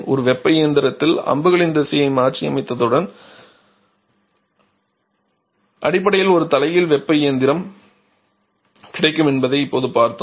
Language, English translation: Tamil, There are gaseous free like we have now seen that once we reverse the directions of the arrows in a heat engine we basically get a reverse heat engine